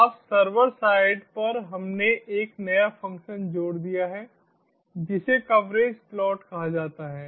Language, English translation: Hindi, now on the server side we have added a new function called coverage plot